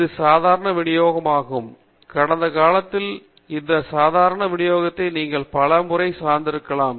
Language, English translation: Tamil, This is the normal distribution; you might have come across this normal distribution several times in the past